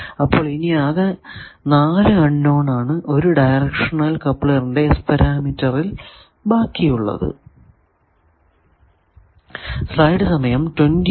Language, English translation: Malayalam, So, 4 real unknowns remain for finding any S parameter of a directional coupler